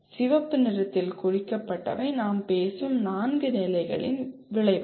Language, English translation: Tamil, The ones marked in red are the four levels of outcomes we are talking about